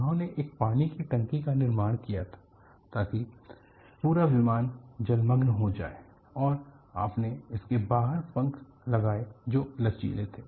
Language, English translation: Hindi, They had constructed a water tank; the entire aircraft is submerged, and you had wings protruded out of this, and they were flexed